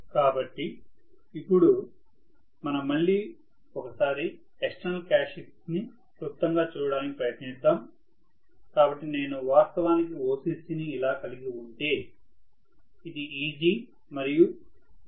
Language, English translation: Telugu, So, now let us try to look at again the external characteristics briefly, so if I am going to have actually this as the OCC, Right